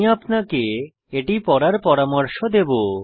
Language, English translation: Bengali, I advise you to read this thoroughly